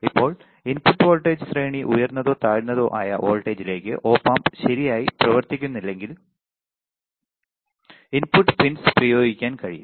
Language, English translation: Malayalam, Now, input voltage range high how high or low voltage the input pins can be applied before Op amp does not function properly there is called input offset voltage ranges